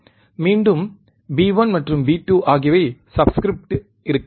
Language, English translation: Tamil, Again B b1 and b 2 would be in subscript